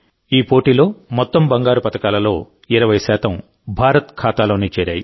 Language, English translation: Telugu, Out of the total gold medals in this tournament, 20% have come in India's account alone